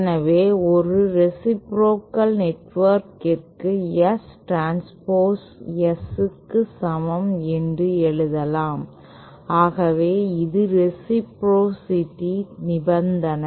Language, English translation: Tamil, So that means for a reciprocal network we can simply write that S transpose is equal to S so this is the condition for reciprocity